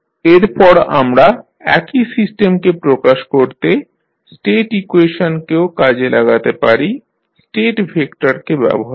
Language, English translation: Bengali, Now, next we can also use the State equation using the state vector for representing the same system